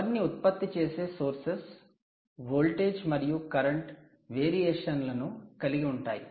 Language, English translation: Telugu, these energy generating sources incur voltage and current variations